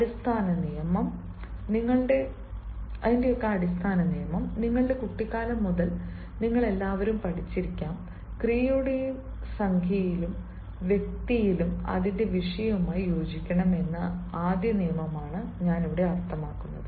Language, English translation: Malayalam, the basic rule all of you might have been learning since your childhood is i mean the very first rule that the verb must agree with its subject in number and person